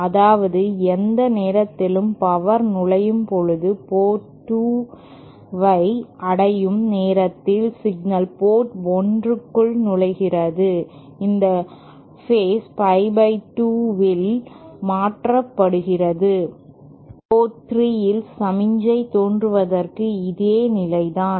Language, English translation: Tamil, That means anytime power enters, signal enters port 1 by the time it reaches port 2, it is phase shifted by pie by 2 and same is the case for signal appearing at port 3